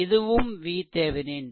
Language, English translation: Tamil, So, this is your V Thevenin